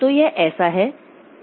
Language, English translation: Hindi, So, it is like this